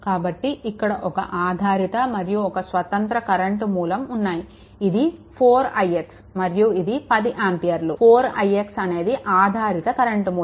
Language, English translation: Telugu, So, and a dependent and a independent your this thing 4 i x that is your 10 ampere thing is there, and a 4 i x your dependent current source is there right